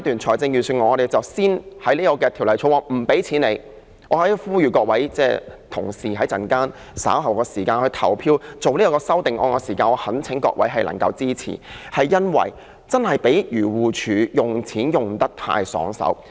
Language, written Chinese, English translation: Cantonese, 在這個階段，我們先在《2019年撥款條例草案》停止向漁護署撥款，我在此呼籲各位同事，稍後就這兩項修正案投票時，我懇請各位支持，因為漁護署用錢用得太爽快。, At this stage we will first stop the proposed allocation in the Appropriation Bill 2019 for AFCD in this regard . Here I call on fellow Members to support these two amendments when they cast their vote later because AFCD has been too casual in using money